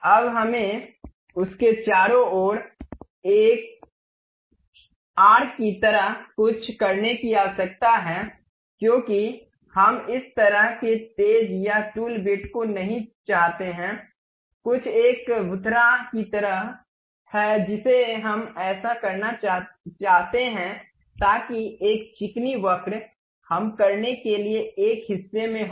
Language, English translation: Hindi, Now, we require something like a arc around that because we do not want this kind of sharp or tool bit, something like a a blunted one we would like to have it, so that a smooth curve we will be in a portion to do